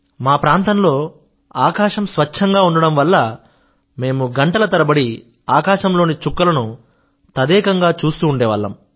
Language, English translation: Telugu, I remember that due to the clear skies in our region, we used to gaze at the stars in the sky for hours together